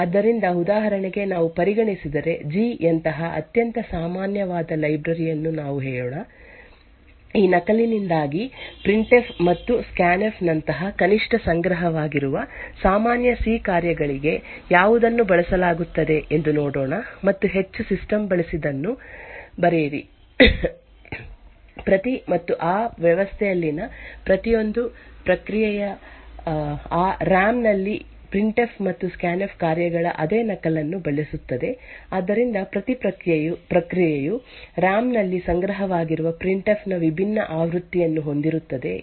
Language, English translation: Kannada, So for example, if you consider let us say a very common library like the G let us see which is used to at least stored common C functions such as printf and scanf because of this copy and write which is used the most systems, each and every process in that system would use the same copy of the printf and scanf functions which are present in RAM, so it would not do the case that each process would have a different version of the printf stored in RAM